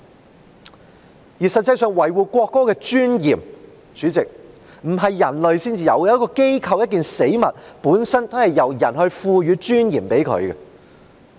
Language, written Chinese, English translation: Cantonese, 主席，實際上，維護國歌的尊嚴不是人唯一要做的，一個機構、一個死物本身也是由人賦予尊嚴的。, In fact President preserving the dignity of the national anthem is not the only thing that the people should do . Even for an organization or an object it also takes people to give it dignity . Take the Legislative Council as an example